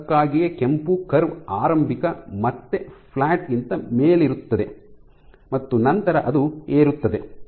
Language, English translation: Kannada, So, that is why the red curve is above initial again flat and then it rises